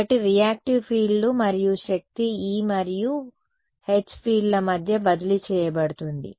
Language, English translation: Telugu, So, reactive fields and energy is transferred between the E and H fields